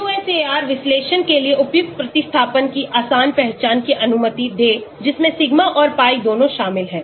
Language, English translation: Hindi, Allow an easy identification of suitable substituents for a QSAR analysis which includes both the sigma and the pi